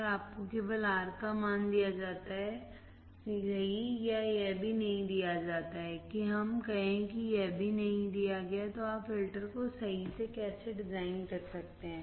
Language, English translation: Hindi, And you are only given the value of R you are only given a value of R right or that is also not given let us say that is also not given then how can you design the filter right